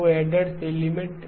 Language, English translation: Hindi, 2 element adders